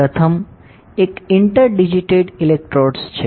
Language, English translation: Gujarati, So, first is inter digitated electrodes